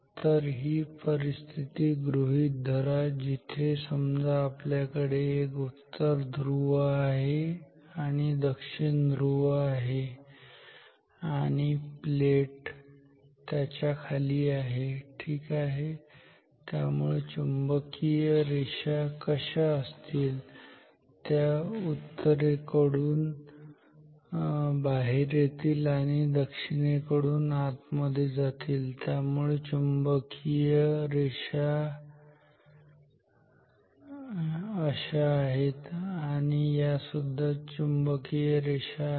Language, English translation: Marathi, So, let us take let us consider the situation where we say we have the north pole here and the south pole here and the plate below it ok; therefore, the flux lines will be like this so it will come from the north and will enter the south, so this is the flux lines these are the flux lines